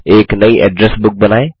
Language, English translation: Hindi, Lets create a new Address Book